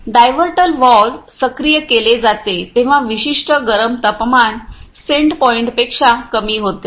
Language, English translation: Marathi, The diverter valve is activated when the particular heating temperatures, goes below the set points ah